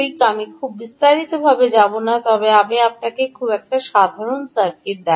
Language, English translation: Bengali, i wont go into great detail, but i will show you a very, very simple circuit